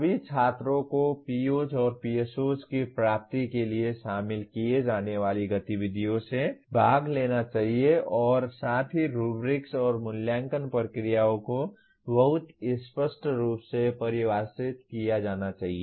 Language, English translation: Hindi, All students should participate in the activities to be included for computing the attainment of PO and PSO as well as the rubrics and evaluation procedures should be very clearly defined